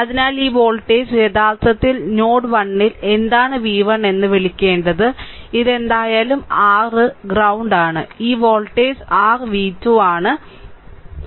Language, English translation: Malayalam, So, this voltage; this voltage actually your your what to call v 1 at node 1, this is your ground this is your ground whatever it is right and this voltage is your v 2, right, this is your v 2